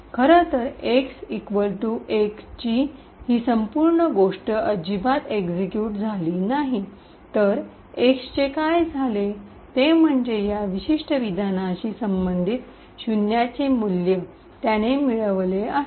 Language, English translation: Marathi, Infact this entire thing of x equal to 1 has not been executed at all rather what has happened to x is that it has somehow manage to obtain a value of zero which corresponds to this particular statement